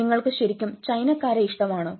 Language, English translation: Malayalam, do you really like chinese